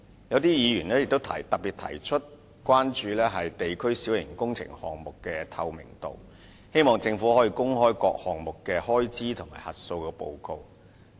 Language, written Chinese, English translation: Cantonese, 有議員特別關注到推行地區小型工程項目的透明度，希望政府可公開各項目的開支及核數報告。, A Member is particularly concerned about the transparency of implementation of district minor works projects hoping that the Government can make public the expenses and auditors reports of all projects